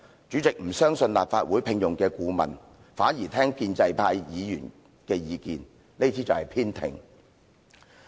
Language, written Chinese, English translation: Cantonese, 主席不相信立法會聘用的顧問，反而聽取建制派議員的意見，這便是偏聽。, The President did not believe the counsel commissioned by LegCo and instead took on board the views of pro - establishment Members . This is paying heed to only one side